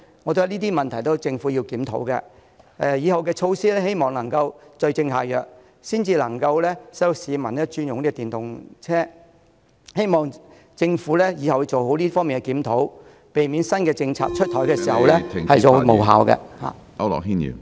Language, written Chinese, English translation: Cantonese, 我覺得這些問題都是政府要檢討的，以後的措施要對症下藥，才能夠令市民轉用電動車，希望政府以後做好這方面的檢討，避免新政策出台後無效。, I think the Government needs to review all these issues . Only when suitable measures are introduced will people be willing to switch to electric vehicles in the future . I hope that the Government will conduct proper reviews in this regard and avoid introducing ineffective new policies